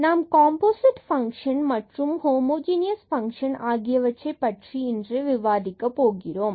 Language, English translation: Tamil, And, today we will be discussing about a Composite Functions and Homogeneous Functions